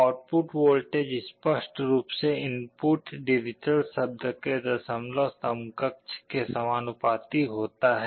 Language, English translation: Hindi, The output voltage is clearly proportional to the decimal equivalent of the input digital word